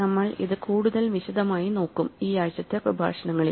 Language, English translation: Malayalam, So, we will look at this in more detail in this weeks' lectures